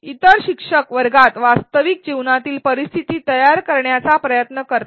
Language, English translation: Marathi, Other instructors try to create real life create or recreate real life scenarios within the classroom